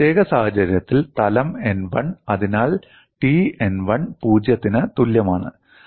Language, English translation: Malayalam, In this particular case, the plane is n 1; so, T n 1 equal to 0